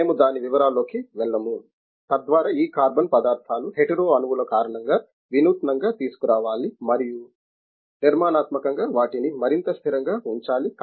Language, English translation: Telugu, We will not go into the details of it, so that we have to innovatively bring out as I told you carbon materials with this is hetero atoms and also structurally they should be made more stabled